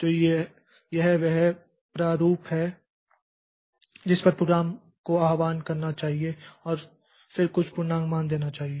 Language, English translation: Hindi, So, this is the format at which this program should be invoked, a dot out and then some integer value